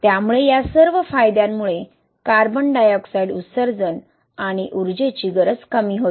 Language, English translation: Marathi, So all these advantages lead to reduction in CO2 emissions and energy requirement